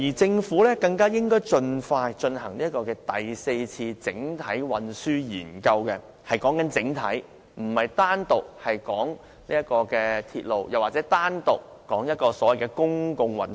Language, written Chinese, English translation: Cantonese, 政府更應盡快進行第四次整體運輸研究，我是指"整體"，而不是單說鐵路或所謂的公共運輸。, The Government should also launch the Fourth Comprehensive Transport Study as soon as possible . I mean a comprehensive study but not individual studies on rail or other forms of public transport